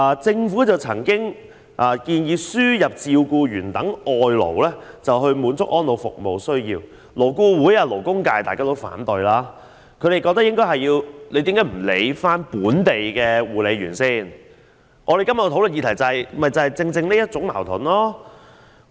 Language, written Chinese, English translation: Cantonese, 政府曾經建議輸入照顧員等外勞以滿足安老服務的需要，但勞工顧問委員會和勞工界均表示反對，認為應該先照顧本地護理員的工作需要，我們今天討論的議題正在於這種矛盾。, The Government has once proposed the importation of foreign labour such as carers to cater for the needs of elderly service development but the suggestion was met with opposition from the Labour Advisory Board and the labour sector which considered it necessary to meet the employment needs of local carers first . This exactly is the contradiction involved in the subject under discussion today